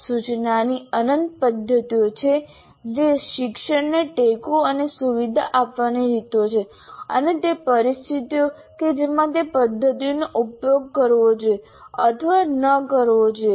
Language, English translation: Gujarati, There are endless number of methods of instruction that is essentially ways to support and facilitate learning and the situations in which those methods should and should not be used